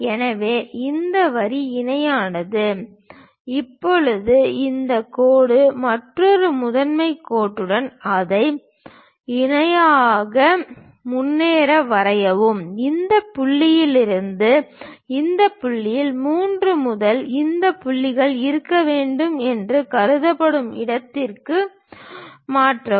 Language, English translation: Tamil, So, this line this line parallel, now this line parallel with the another principal axis then go ahead and draw it, by transferring suitable lengths from this point to this point supposed to be from 3 to this point